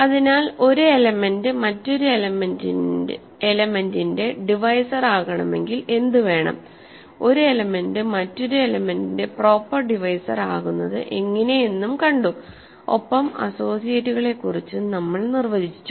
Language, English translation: Malayalam, So, now, we have defined what it means for an element to be a divisor of another element, what it means for an element to be a proper divisor of another element and we also defined the notion of associates